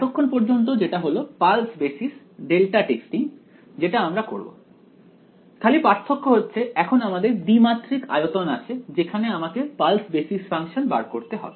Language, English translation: Bengali, So, far which is pulse basis delta testing that is what we are going to do except that now I have a 2 dimensional volume in which I have to find out pulse basis functions